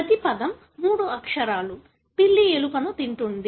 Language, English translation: Telugu, Each word is three letters; ‘the cat eat the rat’